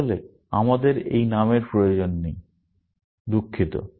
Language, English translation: Bengali, Actually, we do not need this name, sorry